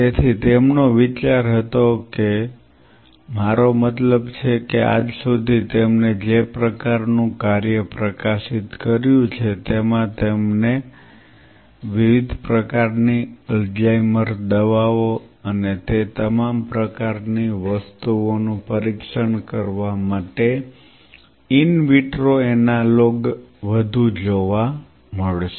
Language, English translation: Gujarati, So, and his whole idea was to have I mean till this day the kind of work he publishes you will see more of a in vitro analogues for testing different kind of Alzheimer drugs and all those kind of things